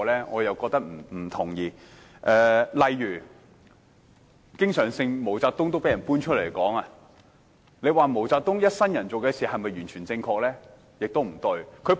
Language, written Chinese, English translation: Cantonese, 我不同意，例如毛澤東經常被人談論，你說毛澤東一生所做的事是否完全正確？, I do not think so . For example MAO Zedong a person drawing much discussion do you think all his dealings in his life were right?